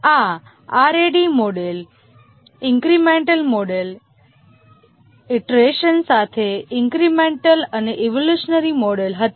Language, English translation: Gujarati, These were the rad model, the incremental model, incremental with iteration and the evolutionary model